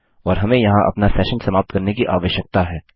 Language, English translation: Hindi, And we need to end our session here